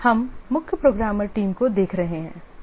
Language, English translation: Hindi, We were looking at the chief programmer team